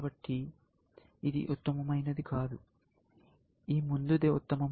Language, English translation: Telugu, So, that is not the best one; this is the best one